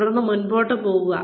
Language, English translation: Malayalam, And then, continue moving on